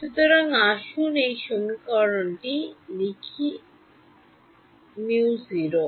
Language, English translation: Bengali, So, let us write down this equation so, mu naught